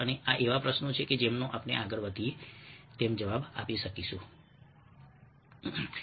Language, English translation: Gujarati, and these are questions that we may answer as we proceed